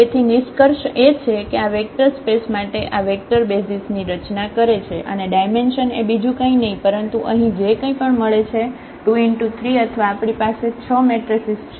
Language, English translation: Gujarati, So, what is the conclusion that these vectors form a basis for the this vector space and the dimension is nothing, but the product here 2 by 3 or we have this 6 matrices